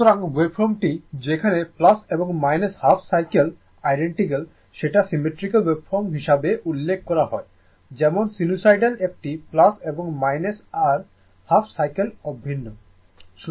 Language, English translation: Bengali, So, the wave forms the wave forms in which plus and minus half cycles are identical are referred to as the symmetrical waveform like this is sinusoidal one is plus and minus right your half cycles are identical